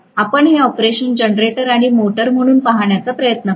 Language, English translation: Marathi, Let me try to look at this operation as a generator and as a motor, right